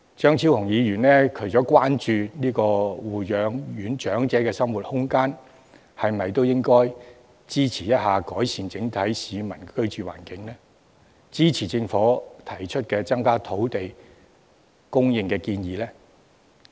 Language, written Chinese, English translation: Cantonese, 張超雄議員除了關注護養院長者的生活空間，是否也應該支持改善市民整體的居住環境、支持政府提出增加土地供應的建議？, In addition to his concern about the living space in nursing homes for elderly persons should Dr Fernando CHEUNG not support the Governments initiatives of increasing land supply in order to improve the overall living environment of the people?